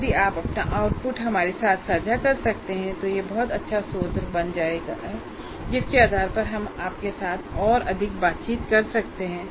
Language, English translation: Hindi, And if you can share your output with the, with us, it will become a very good source based on which we can interact with you more